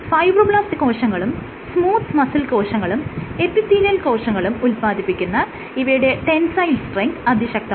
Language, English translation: Malayalam, It has strong tensile strength, it is produced by fibroblasts smooth muscle cells and epithelial cells